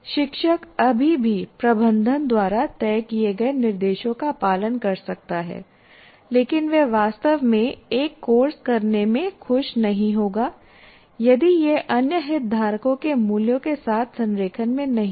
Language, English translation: Hindi, The teacher may still follow what is dictated by the management, but he won't be really happy in doing a course if it is not in alignment with the values of other stakeholders